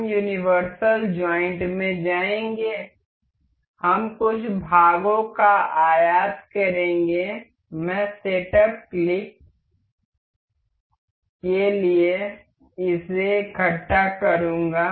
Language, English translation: Hindi, We will go to universal joint we will import some parts, I will just assemble this these for setup just click